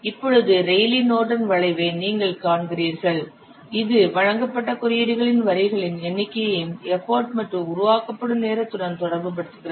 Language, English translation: Tamil, So that means you see this Raleigh Narden curve it also relates the number of the delivered lines of code to what to import and development time